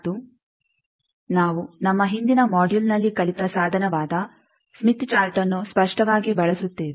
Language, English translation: Kannada, And we will be using obviously, the tools that we have learnt in our earlier module that is the Smith Chart